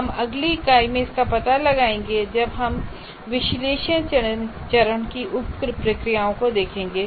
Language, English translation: Hindi, We'll explore that in the next unit when we look at the sub processes of analysis phase